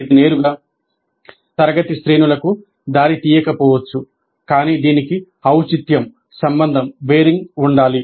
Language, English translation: Telugu, This may not directly lead to the grades but it must have a bearing